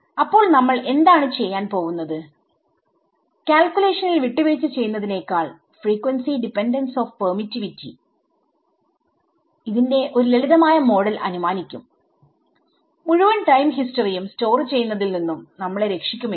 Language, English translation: Malayalam, So, what we will do is we will assume a simplistic model rather than compromising on the calculation we will assume a simplistic model of this frequency dependence of permittivity and see if we can if that saves us from saving the entire time history